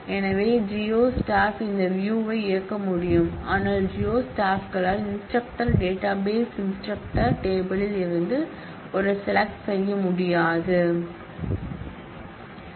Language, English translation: Tamil, So, the geo staff will be able to execute this view, but the geo staff will not be able to do a select on from the instructor database instructor table